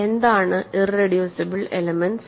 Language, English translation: Malayalam, So, it is an irreducible element